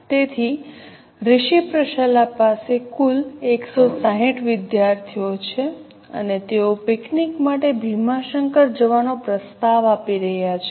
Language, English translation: Gujarati, So, Rishi Patshalla has total of 160 students and they are proposing to go for a picnic to Bhima Shankar